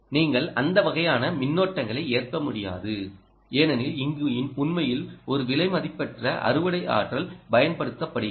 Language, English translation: Tamil, you can't afford that kind of currents because this is actually a harvesting and precious harvesting energy is being used